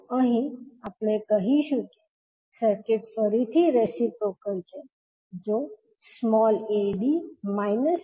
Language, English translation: Gujarati, So here we will say that the circuit is reciprocal again if ad minus bc equal to 1